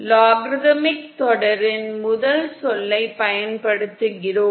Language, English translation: Tamil, We use the first term of the logarithmic series